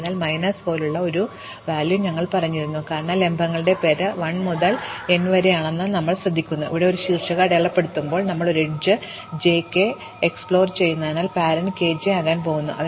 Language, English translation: Malayalam, So, we might set the value like minus 1, because we note that the name of vertices are 1 to n, and then when we mark a vertex, since we are exploring an edge j k, the parent of k is going to be j